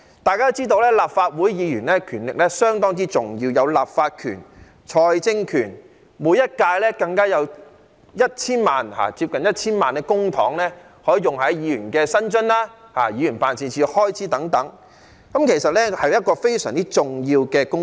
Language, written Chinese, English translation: Cantonese, 大家都知道，立法會議員的權力相當重要，有立法權和財政權，每一屆更加有接近 1,000 萬元的公帑，可用於議員的薪津和議員辦事處的開支等，其實是一個非常重要的公職。, As we all know the power of Members of the Legislative Council is very important as we are empowered to make legislation and approve financial proposals . Moreover we can receive public money of almost 10 million for each term of office which can be spent on the salaries and allowances of Members and the expenses of Members offices etc . It is actually a very important public office